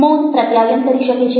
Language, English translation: Gujarati, silence does manage to communicate